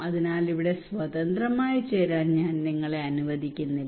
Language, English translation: Malayalam, so I am not allowing you to join here freely